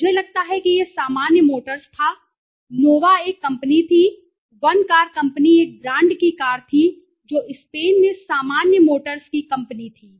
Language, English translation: Hindi, I think it was General motors, Nova was one company, One Car Company one brand of car which the general motors company launched in Spain